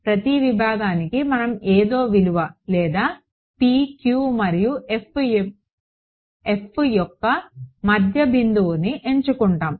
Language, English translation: Telugu, For each segment we just put in the value or the midpoint of p q and f